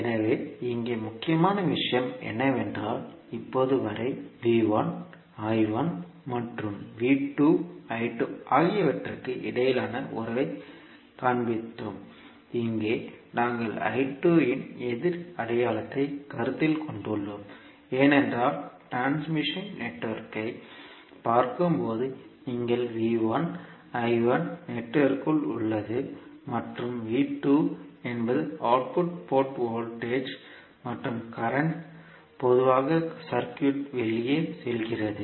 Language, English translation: Tamil, So here the important thing is that till now we shown the relationship between V 1 I 1 and V 2 I 2, here we are considering the opposite sign of I 2 because when you see the transmission network you take the simple power system network where the V 1 I 1 is inside the network and V 2 is the output port voltage and current generally goes out of the circuit